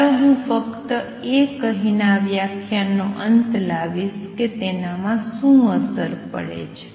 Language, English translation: Gujarati, Let me just end this lecture by telling what implications does it have